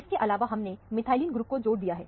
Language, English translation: Hindi, In addition to that, we have added a methylene group